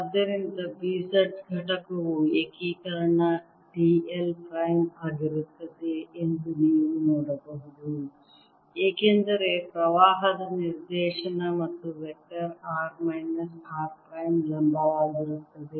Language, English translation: Kannada, so you can see that b z component is going to be integration d l prime, since the direction of current and the vector r minus r prime is perpendicular